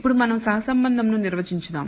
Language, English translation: Telugu, Now, let us define what we call correlation